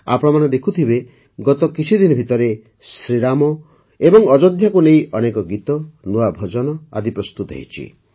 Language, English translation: Odia, You must have noticed that during the last few days, many new songs and new bhajans have been composed on Shri Ram and Ayodhya